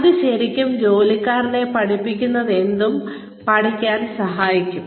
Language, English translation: Malayalam, That will really help, the employee learn, whatever one is being taught